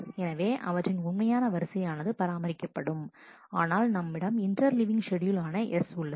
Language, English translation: Tamil, So, their original ordering is maintained, but we have an interleaved schedule called S